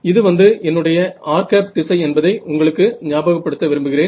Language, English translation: Tamil, So, just to remind you that this is my r hat direction right